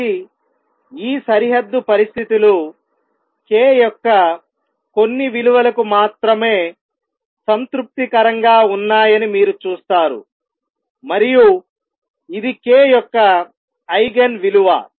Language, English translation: Telugu, So, you see this boundary conditions satisfied only for the certain values of k and this is Eigen value of k